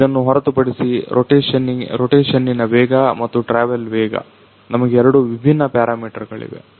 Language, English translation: Kannada, So, apart from this rotational speed and travel speed we have two different parameters as well